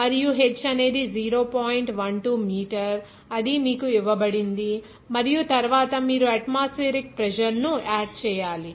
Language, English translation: Telugu, 12 meter it is given to you and then atmospheric pressure you have to add